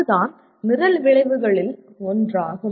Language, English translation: Tamil, That is what constitutes one of the program outcomes